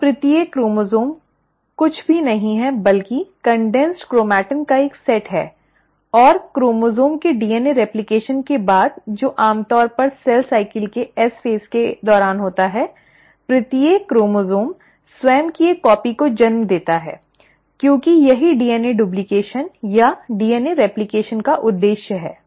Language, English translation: Hindi, So each chromosome is nothing but a set of condensed chromatin and after the chromosome has undergone DNA replication which usually happens during the S phase of cell cycle, each chromosome gives rise to a copy of itself, right, because that is the purpose of DNA duplication or DNA replication